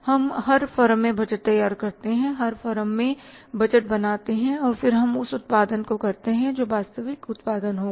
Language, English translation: Hindi, We prepare the budgets in every firm, budgets in every firm and then we go for the production that is the actual production